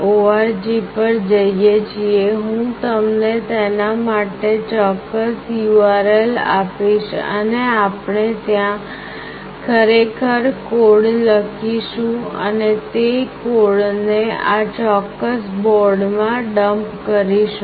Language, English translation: Gujarati, org, I will give you the exact URL for it, and there we actually write the code and dump the code into this particular board